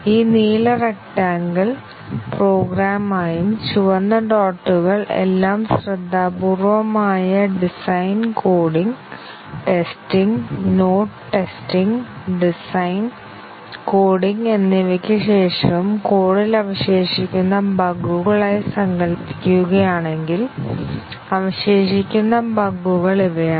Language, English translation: Malayalam, If we imagine this blue rectangle as the program and the red dots as the bugs that have remained in the code after all the careful design, coding, testing, not testing, design and coding; these are the bugs that are remaining